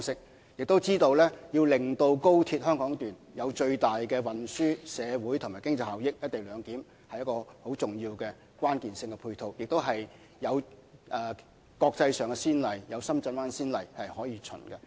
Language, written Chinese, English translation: Cantonese, 我們也知道，要令高鐵香港段發揮最大的運輸、社會和經濟效益，"一地兩檢"是一個重要的關鍵性配套，同時也有國際上的先例或深圳灣口岸這先例可循。, We also understand that in order for the Hong Kong section of XRL to maximize its transportation social and economic benefits the co - location arrangement is a key matching facility of importance . Moreover there are also international precedents or the example of Shenzhen Bay to follow